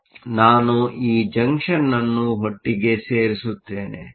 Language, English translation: Kannada, So, let me put this junction together